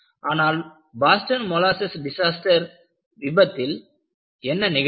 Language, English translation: Tamil, What happened in the case of molasses disaster